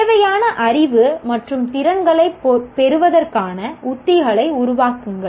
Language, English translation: Tamil, Develop strategies to acquire the required knowledge and skills